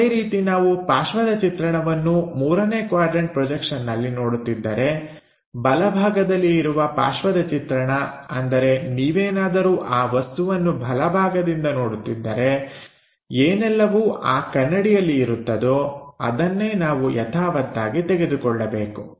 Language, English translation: Kannada, Similarly, if we are looking side view, in third quadrant projection, the side view on the right side is basically the right side view; that means, if you are looking from right side of that object whatever projected onto that mirror that is the thing what we are supposed to take it